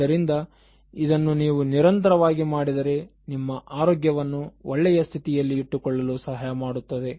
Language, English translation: Kannada, So, if you do that consistently, so then it will help you to maintain your health in a very good condition